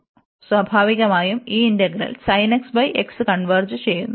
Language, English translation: Malayalam, So, naturally that integral will converge